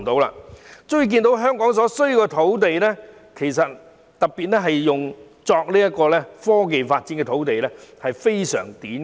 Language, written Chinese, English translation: Cantonese, 由此可見，香港的土地，尤其是用作科技發展的土地非常短缺。, From this we can see that in Hong Kong there is a serious shortage of land especially for IT development